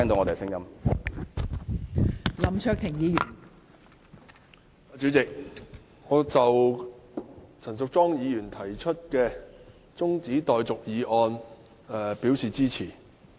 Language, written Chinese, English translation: Cantonese, 代理主席，我對陳淑莊議員提出的中止待續議案表示支持。, Deputy President I support the adjournment motion moved by Ms Tanya CHAN